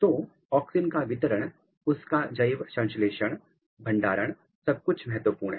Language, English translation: Hindi, So, auxin distribution, biosynthesis, storage, distribution everything is important